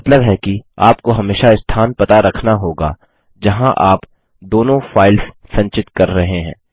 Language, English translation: Hindi, Which means, you will always have to keep track of the location where you are storing both the files